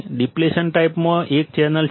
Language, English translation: Gujarati, In depletion type, there is a channel